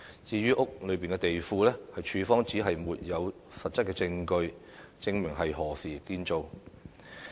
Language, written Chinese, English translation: Cantonese, 至於屋內的地庫，署方指沒有實質證據，證明是何時建造的。, As regards the basement of the house the Department said that it had no evidence showing when it was constructed